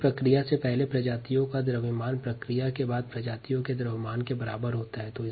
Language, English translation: Hindi, the mass of the species before a process equals the mass of species after the process